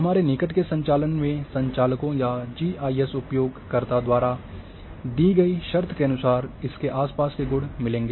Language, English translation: Hindi, And these neighbourhood operations will look the values in the surrounding as per the given condition by the operators or the GIS users